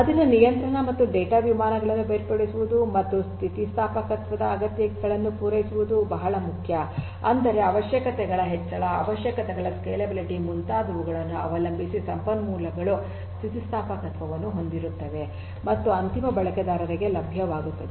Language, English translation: Kannada, So, it is very important to separate the control and data planes and to cater to the requirements of elasticity; that means, dynamically depending on the increase in the requirements, scalability of the requirements and so on, the resources will also be elastically a elastically proficient and made available to the end users